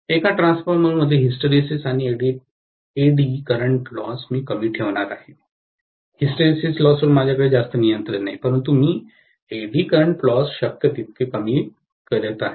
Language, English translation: Marathi, And I am going to have very low hysteresis and eddy current loss in a transformer, hysteresis loss I don’t have much control but eddy current loss I am decreasing as much as possible